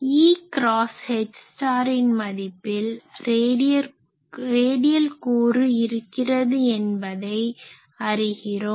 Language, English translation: Tamil, So, you can find that E cross H star that will be having a radial component